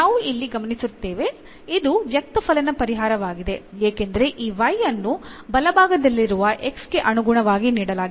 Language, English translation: Kannada, And therefore, but what else we observe here where that is the explicit solution because this y is given in terms of the x right hand side